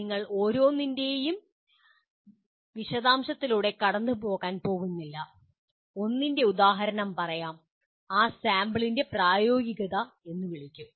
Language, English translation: Malayalam, We are not going to go through the details of each except to give an example of one and that sample we call it “pragmatism”